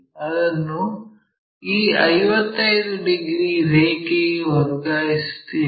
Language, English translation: Kannada, So, let us transfer that all the way to this 55 degrees line